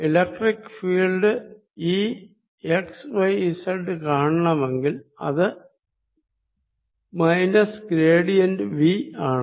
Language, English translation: Malayalam, if i want to find the electric field e, x, y and z, this comes out to be as minus gradient of v